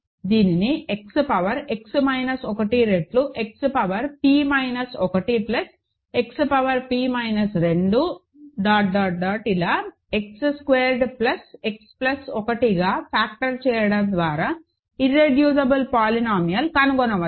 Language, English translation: Telugu, So the irreducible polynomial can be found out by factoring this into X power X minus 1 times X power p minus 1 plus X power p minus 2 dot dot dot X square plus X plus 1